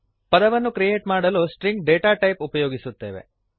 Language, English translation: Kannada, To create a word, we use the String data type